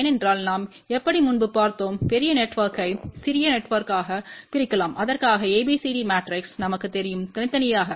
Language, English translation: Tamil, Because we had seen earlier how a larger network can be divided into smaller network for which we know ABCD matrix individually